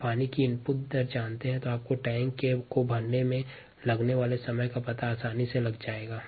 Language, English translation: Hindi, if you know the input rate of water, then you can figure out the time taken to fill the tank quite easily